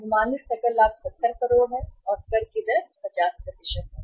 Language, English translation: Hindi, Estimated gross profit is 70 crores and tax rates are 50%